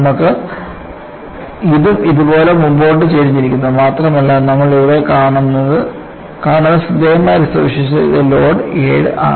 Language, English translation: Malayalam, You have this forward tilted like this and this also forward tilted like this, and one of the striking feature that you come across here is for the load 7